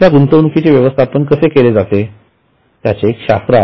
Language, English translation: Marathi, And there is a science of how that is managed